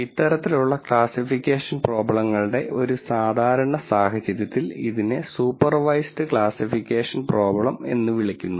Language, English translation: Malayalam, And in a typical case in these kinds of classification problems this is actually called as supervised classification problem